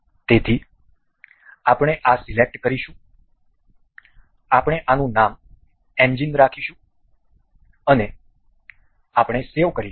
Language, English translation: Gujarati, So, we will select this we will name this as engine and we will save